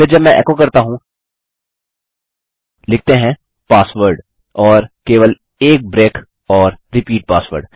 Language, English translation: Hindi, Then if I echo out, lets say, password and just have a break and repeat password